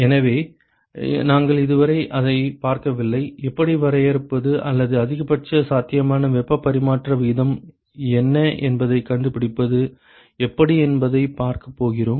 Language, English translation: Tamil, So, we have not looked at that so far, we are going to see how to define or how to find out what is the maximum possible heat transfer rate ok